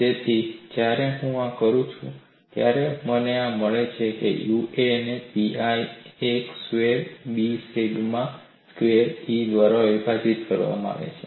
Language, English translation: Gujarati, So, when I do this, I get this as U a equal to pi a squared B sigma squared divided by E